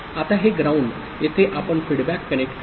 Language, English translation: Marathi, Now while this ground is here you connect a feedback